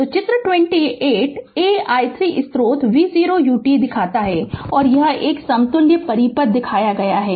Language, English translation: Hindi, So, figure 28 a shows a voltage source v 0 u t and it is equivalent circuit is shown